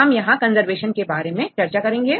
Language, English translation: Hindi, So, today we will discuss upon conservation